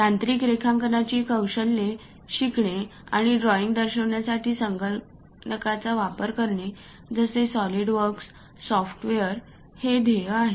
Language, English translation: Marathi, The mission is to learn technical drawing skills and also use computers for example, a SOLIDWORKS software to represent drawings